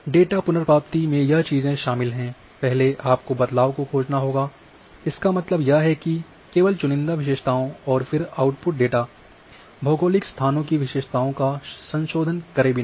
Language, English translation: Hindi, And a data retrieval as you know involves the first you have to search manipulation; that means, a only selected features you are doing and then output of data without requirement to modify geographic locations of the features